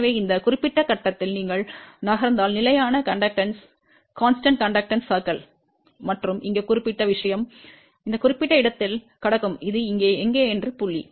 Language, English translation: Tamil, So, if at this particular point you move along the constant conductor circle and that particular thing over here will cross at this particular point where it is this here